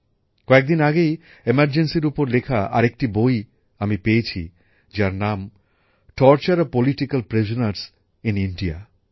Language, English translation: Bengali, A few days ago I came across another book written on the Emergency, Torture of Political Prisoners in India